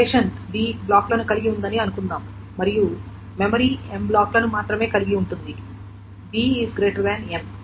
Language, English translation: Telugu, Suppose the relation contains B blocks and memory is can contain only M blocks